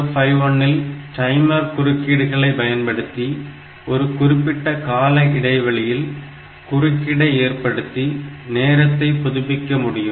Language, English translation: Tamil, So, 8051 has got the timer interrupt; so, at periodic intervals that interrupt should come and it will update this timing